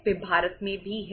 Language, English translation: Hindi, They are in India